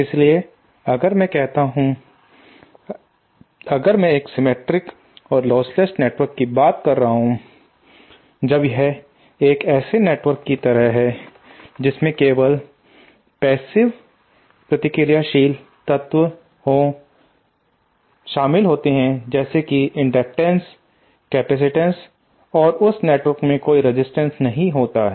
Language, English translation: Hindi, So if I say, if I am referring to a reciprocal and lostless network when it is like a network which contains only passive reactive elements like inductances and say some capacitates there are no resistances in that network